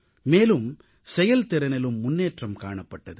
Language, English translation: Tamil, This also helped in improving efficiency